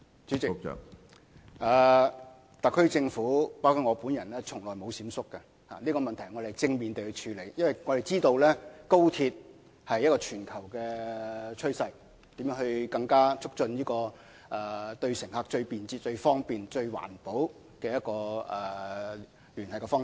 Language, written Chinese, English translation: Cantonese, 主席，特區政府包括我本人從來都沒有閃縮，我們是正面地處理問題，因為我們知道高鐵是全球趨勢，為乘客提供更便捷、更方便、更環保的聯繫方式。, President the SAR Government including myself has never been evasive . We have been handling this issue positively for we know that high - speed rail which is a global trend provides passengers with a more efficient convenient and environmentally - friendly way to make contact